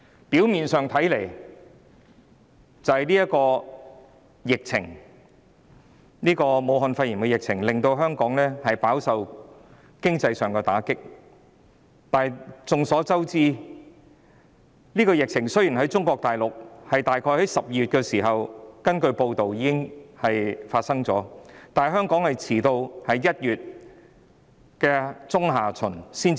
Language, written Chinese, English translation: Cantonese, 表面上看，是由於武漢肺炎的疫情令香港飽受經濟打擊，但眾所周知，根據報道，雖然中國大陸早於約12月已爆發疫情，但香港在1月中下旬才出現首宗個案。, On the surface it is because the outbreak situation of the Wuhan pneumonia has dealt a heavy blow to the Hong Kong economy . But as everyone knows according to the news reports although the epidemic broke out in Mainland China early in around December Hong Kong did not have the first case until mid - or late January